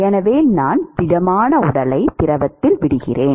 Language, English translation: Tamil, So, I drop the solid body into the liquid